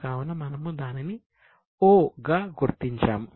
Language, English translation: Telugu, So, we will mark it as O